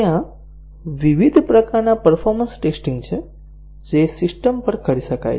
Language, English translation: Gujarati, There are a variety of performance tests that can be carried out on a system